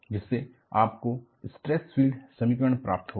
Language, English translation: Hindi, That is how; you will get the stress field equations